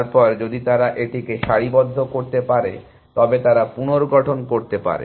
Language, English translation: Bengali, Then if they can align that, then they can reconstruct